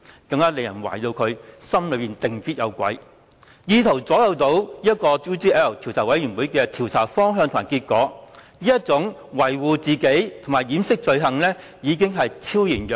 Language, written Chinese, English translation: Cantonese, 此舉更令人懷疑他一定是內心有鬼，意圖左右專責委員會的調查方向及結果，他維護自己及掩飾罪行的意圖可謂昭然若揭。, This has aroused further suspicion that he has a guilty conscience thus seeking to influence the direction and result of the Select Committees inquiry . His intention to protect himself and cover up his wrongdoings is therefore clear to all